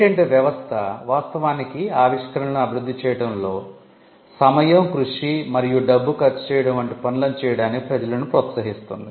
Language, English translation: Telugu, The patent system actually incentivizes people to take risky tasks like spending time, effort and money in developing inventions